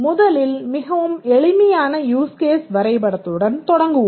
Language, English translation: Tamil, First let's start with a very simple use case diagram